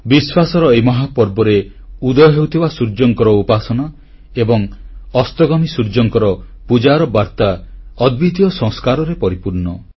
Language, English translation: Odia, In this mega festival of faith, veneration of the rising sun and worship of the setting sun convey a message that is replete with unparalleled Sanskar